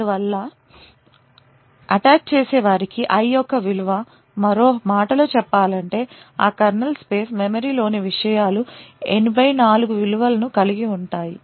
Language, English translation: Telugu, Thus, the attacker would know that the value of i in other words the contents of that kernel space memory has a value of 84